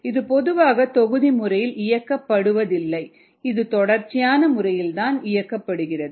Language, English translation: Tamil, it is normally not operated in a batch mode, it is operated in a continuous mode